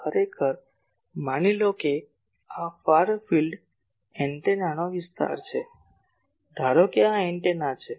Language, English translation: Gujarati, So, actually the region suppose this is the region of the antenna, suppose this is antenna